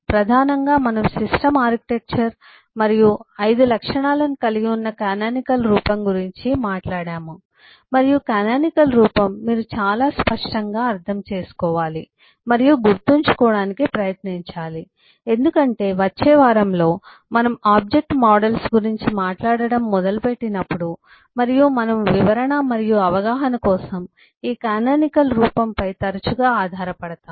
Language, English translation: Telugu, uh, primarily, we have talked about the canonical form, comprising the system architecture and the 5 attributes, and eh, the canonical form is what you uhh very clearly understand and eh, try to remember because, eh, in the next week, when we start talking about object models and so on, we will frequently fall back on this canonical form for eh explanation and understanding